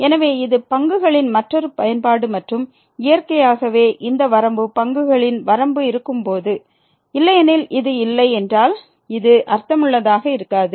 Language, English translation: Tamil, So, it is a another application of the derivatives and naturally when this limit the limit of the derivatives exist, otherwise this does not make sense if the this does not exist